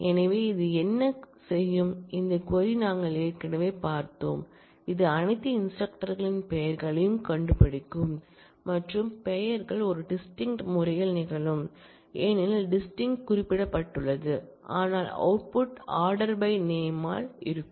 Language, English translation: Tamil, So, what this will do, we have already seen this query this will find out the names of all the instructors and the names will occur in a distinct manner because, distinct is specified, but then the output will be in terms ordered by the name